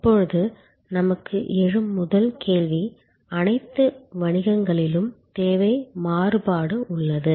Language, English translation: Tamil, Now, the first question that we arise will be that demand variation is there in all businesses